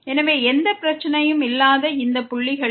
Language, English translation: Tamil, So, at all these points where there is no problem